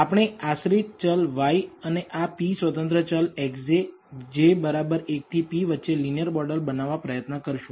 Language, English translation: Gujarati, We will try to develop a linear model between the dependent variable y and these independent p independent variables x j, j equals 1 to p